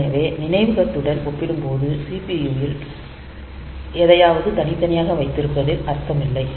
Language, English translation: Tamil, So, there is no point keeping something in the CPU separately compared to the memory